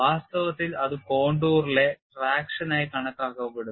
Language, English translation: Malayalam, In fact, that is taken as traction on the contour